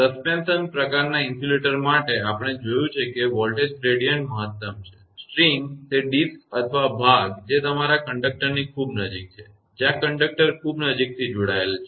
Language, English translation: Gujarati, For suspension type of insulator; we have seen the voltage gradient is maximum; the string, that disk or piece which is very close to the your conductor; where conductor is connected very close